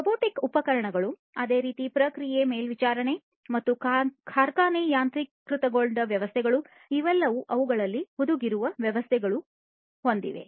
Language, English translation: Kannada, Robotic equipments likewise process monitoring and factory automation systems, all of these have embedded systems in them